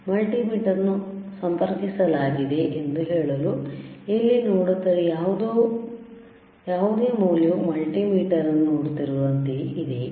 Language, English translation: Kannada, mMultimeter is connected to just to say that, whatever the value we are looking at hehere, is it similar to what we are looking at the multimeter